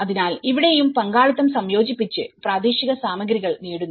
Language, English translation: Malayalam, So, even here, the participation has been incorporated and getting the local materials